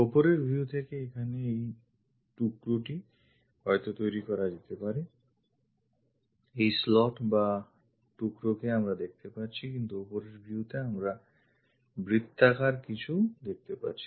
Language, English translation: Bengali, From top view is supposed to make this slot here, the slot here we are going to see, but on top view we are seeing something like a circle